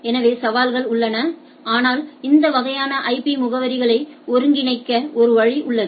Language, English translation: Tamil, So, there are challenges, but nevertheless there is a there is a way to aggregate this sort of IP addresses